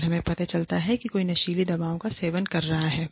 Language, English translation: Hindi, If we find out, that somebody is using drugs, abusing drugs